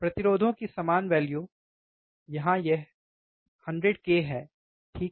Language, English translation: Hindi, Same value of resistors or 100, here it is 100 k, right